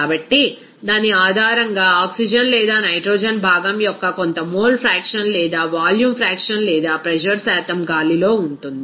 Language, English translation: Telugu, So, based on that, some mole fraction or volume fraction or pressure percentage of that oxygen or nitrogen component will be in the air